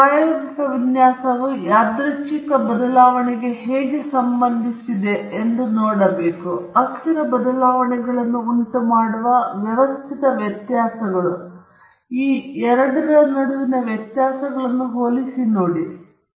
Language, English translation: Kannada, The design of experiments you will see how to account for the random variability, and also the systematic variability caused by changing the variables, and compare the differences between the two